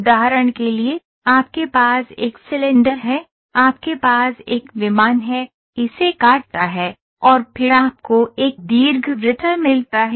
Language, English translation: Hindi, For example, you have a cylinder, you have a plane, cuts it, and then you get an ellipse